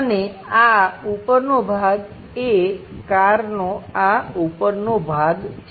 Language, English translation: Gujarati, And this top portion is this top portion of the car